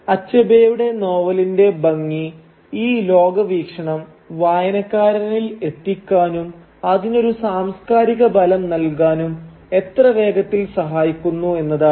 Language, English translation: Malayalam, And the beauty of Achebe’s novel is how swiftly it manages to convey this worldview to the reader and lend it a sense of cultural thickness